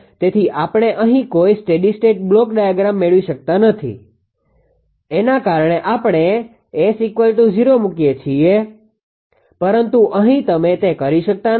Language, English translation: Gujarati, So, we here we cannot get any steady state block diagram because of this is if we can put S is equal to 0, but here you cannot do that